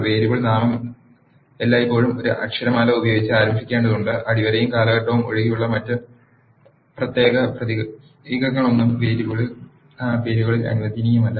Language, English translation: Malayalam, The variable name has to be started always with an alphabet and no other special characters except the underscore and period are allowed in the variable names